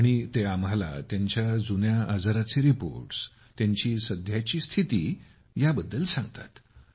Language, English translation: Marathi, And they tell us the reports of their old ailments, their present condition…